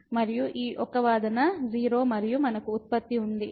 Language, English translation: Telugu, And this one argument is 0 and we have the product